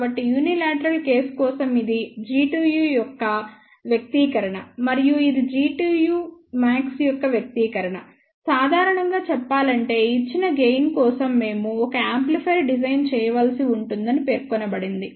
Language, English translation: Telugu, So, for unilateral case we had seen that, this is the expression for G tu and this is the expression for G tu max, generally speaking it will be specified that we have to design an amplifier for a given gain